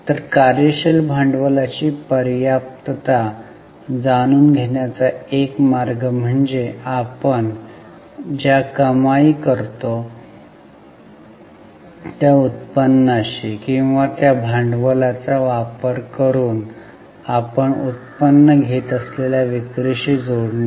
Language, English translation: Marathi, So, one way to know the adequacy of working capital is to link it to the revenue which we generate or the sales which we generate using that working capital